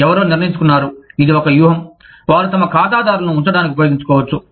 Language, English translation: Telugu, Somebody decided, that this was a strategy, they could use, to keep their clients